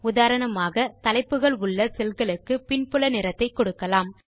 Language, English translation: Tamil, For example, let us give a background color to the cells containing the headings